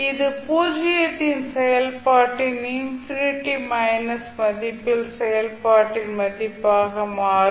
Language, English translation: Tamil, Or you can write the value of function at infinity minus value of function at zero